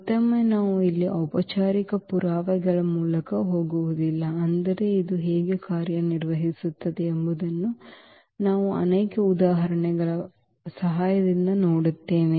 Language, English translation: Kannada, Again we will not go through the formal proof here, but we will see with the help of many examples, how this is working